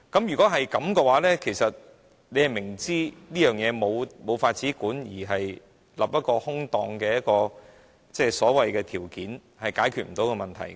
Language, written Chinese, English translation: Cantonese, 若然如此，你明知這事無法規管，反而訂立一個空洞的所謂條件，是解決不到問題的。, If it is known that this matter cannot be regulated setting a hollow so - called condition is not a solution to the problem